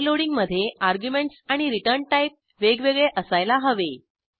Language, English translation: Marathi, In overloading the arguments and the return type must differ